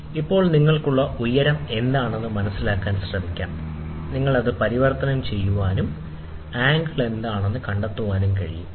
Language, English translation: Malayalam, So, now what you have is, you can try to figure out what is the height; from the height, you can convert this and find out what is the angle, ok